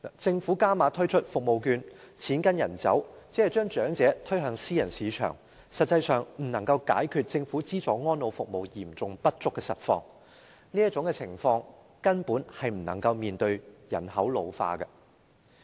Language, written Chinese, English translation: Cantonese, 政府加碼推出服務券，錢跟人走，只是將長者推向私人市場，實際上未能解決政府資助安老服務嚴重不足的實況，這種情況根本不能應對人口老化的問題。, The Governments provision of additional vouchers on the principle of money - following - the - user will only push the elderly to the private market . In fact it cannot resolve the actual serious lack of elderly services subsidized by the Government . As such it cannot address the problems of population ageing at all